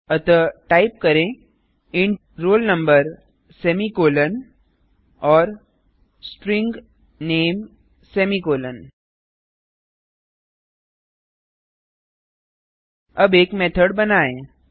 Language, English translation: Hindi, So type int roll number semi colon and String name semi colon